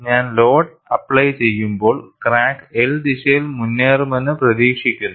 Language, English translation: Malayalam, I have the crack here; as I apply the load, the crack is expected to advance in the L direction